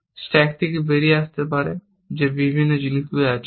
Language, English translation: Bengali, There are various things that can come out of the stack